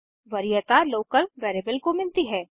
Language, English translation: Hindi, The local variable gets the priority